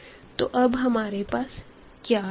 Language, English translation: Hindi, So, now what we have